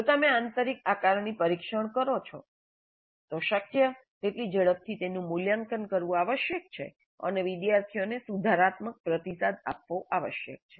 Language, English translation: Gujarati, If you conduct an internal assessment test as quickly as possible, it must be evaluated and feedback must be provided to the students, the corrective feedback